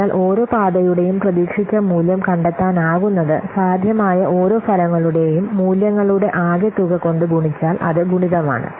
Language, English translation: Malayalam, So the expected value of each path can be finding out, can be found out by taking the sum of the values of each possible outcomes multiplied by its probability